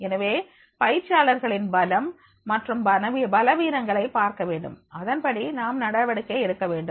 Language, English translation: Tamil, So therefore we have to see the strengths and weaknesses of the trainees and then we have to deal accordingly